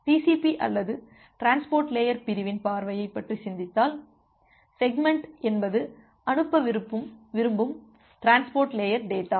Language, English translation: Tamil, So, if you just think about TCP or transport layer segment point of view, so segment is the transport layer data that you want to transmit